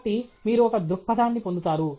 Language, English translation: Telugu, So, you get a perspective okay